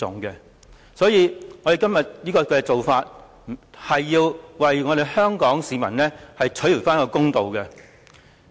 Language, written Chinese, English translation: Cantonese, 因此，我們今天的做法是要為香港市民討回公道。, Thus what we are doing today is to seek justice for the people of Hong Kong